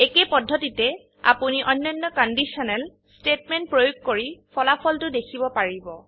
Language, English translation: Assamese, In the same manner, you can apply other conditional statements and study the results